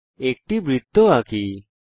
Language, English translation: Bengali, Draw a circle